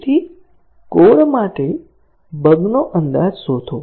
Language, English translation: Gujarati, So, find an error estimate for the code